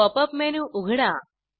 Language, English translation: Marathi, Open the Pop up menu